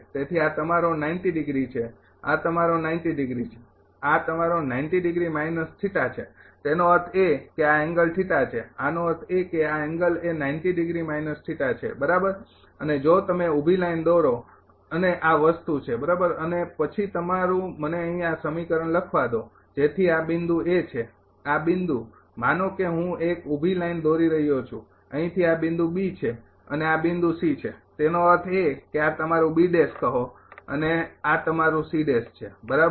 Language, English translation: Gujarati, So, this is your ah 90 degree, this is your 90 degree, this is your 90 degree minus theta; that means, this angle is theta; that means, this angle is 90 degree minus theta right and if you draw a vertical line and this thing right and then then ah your ah let me write down here this equation so this is this point is A, this point is suppose I am drawing a vertical line from here this point is B, and this point is C; that means, this is your say B dash this is your C dash right